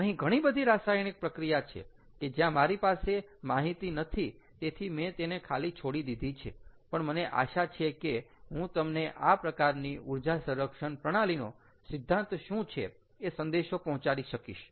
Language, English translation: Gujarati, there are a couple of reactions where i did not have the data, so i have left that blank, but i hope i am able to tell you the message or convey you the principle of using this type of energy storage ah system